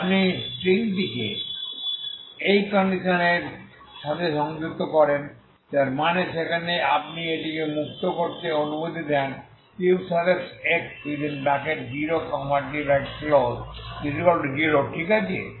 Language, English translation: Bengali, If you attach the string with this condition that means there you allow it to be free ux is 0, okay